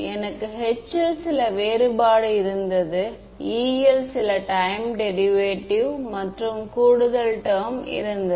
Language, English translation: Tamil, I had a some space difference in H, some time derivative in E and an additional term